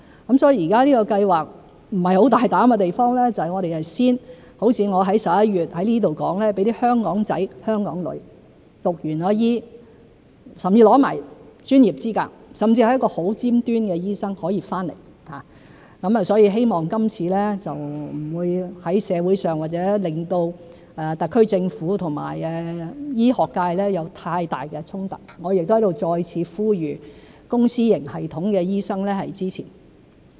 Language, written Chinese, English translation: Cantonese, 現在這個計劃不是很大膽的地方就是如我在11月在此說的，我們會先讓"香港仔"、"香港女"在修畢醫科，甚至獲得了專業資格，成為一個很尖端的醫生後可以回來，希望這次不會在社會上或令到特區政府和醫學界有太大衝突，我亦在此再次呼籲公私營系統的醫生支持。, What is not very bold about this scheme at present is that as I said here in November we will allow sons and daughters of Hong Kong who have completed medical training or even obtained professional qualifications and become top - notch doctors to come back as the first step . I hope that it will not stir up much conflict between the SAR Government and the medical sector in society this time . Again here I also appeal for the support of doctors in the public and private sectors